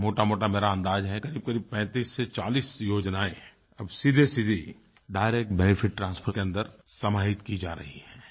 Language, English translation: Hindi, According to my rough estimate, around 3540 schemes are now under 'Direct Benefit Transfer